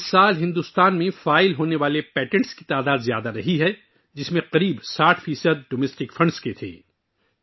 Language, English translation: Urdu, This year, the number of patents filed in India was high, of which about 60% were from domestic funds